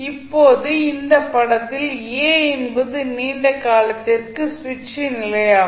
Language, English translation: Tamil, Now, in this figure position a is the position of the switch for a long time